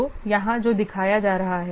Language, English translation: Hindi, So, here what is being shown